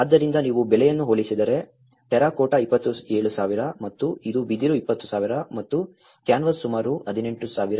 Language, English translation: Kannada, So, if you compare the cost the terracotta was 27,000 and this one was bamboo was 20,000 and the canvas was about 18,000